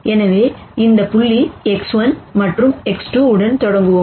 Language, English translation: Tamil, So, let us start with this point X 1 and then X 2